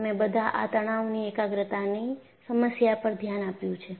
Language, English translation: Gujarati, See, you all have looked at problem of stress concentration